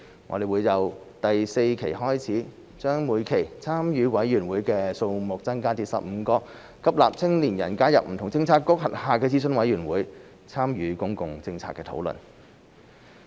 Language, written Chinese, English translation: Cantonese, 我們將會由第四期開始，把每期參與委員會的數目增加至15個，吸納青年人加入不同政策局轄下的諮詢委員會，參與公共政策討論。, Starting from Phase IV we will increase the number of participating committees in each phase to 15 so as to attract young people to join advisory committees under various Policy Bureaux and participate in public policy discussion